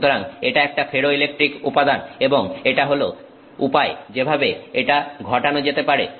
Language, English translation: Bengali, So, this is a ferroelectric material and this is the way in which it happens to be